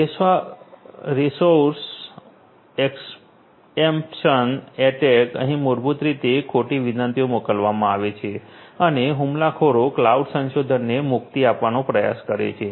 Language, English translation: Gujarati, Resource exemption attack here basically false requests are sent and the attacker tries to exempt the cloud resources